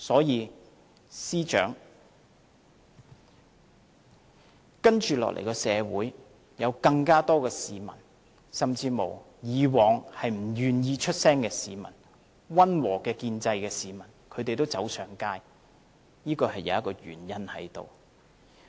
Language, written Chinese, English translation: Cantonese, 因此，司長，社會將會有更多市民，甚至以往不願意發聲的市民和支持溫和建制派的市民走上街，這是有原因的。, Hence Secretary there is a reason for a growing number of people in society even those not willing to make their voices heard and those supporting the moderate pro - establishment camp in the past to take to the streets